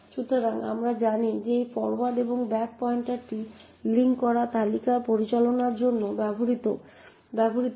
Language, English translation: Bengali, So, as we know this forward and back pointer is used for managing the linked list